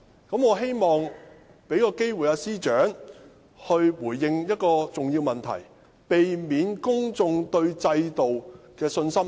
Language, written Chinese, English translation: Cantonese, 我希望給予司長機會回應一個重要問題，以免進一步削弱公眾對制度的信心。, I would like to give the Secretary for Justice an opportunity to respond to an important question so as to avoid public confidence in the system being further undermined